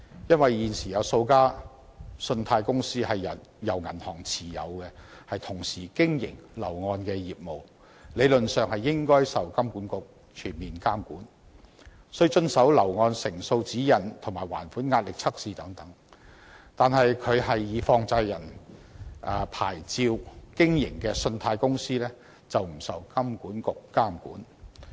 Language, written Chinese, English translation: Cantonese, 因為，現時有數間信貸公司是由銀行持有，同時經營樓宇按揭業務，理論上應該受到金管局全面監管，需要遵守樓宇按揭成數的指引及進行還款壓力測試等，但以放債人牌照經營的信貸公司卻不受金管局監管。, Currently several credit companies are held by banks and they operate home mortgage business as well . In theory they should be fully regulated by HKMA observe guidelines on home mortgage percentages undergo stress tests on repayment ability and so on . However loan companies operating with money lender licences are not regulated by HKMA